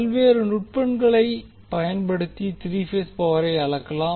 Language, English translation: Tamil, Will use different techniques for three phase power measurement